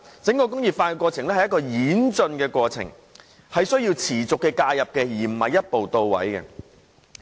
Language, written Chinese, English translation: Cantonese, 整個"再工業化"是一個演進的過程，需要持續的介入，而並非一步到位。, Re - industrialization is a development process as a whole which requires constant intervention and cannot be achieved in one go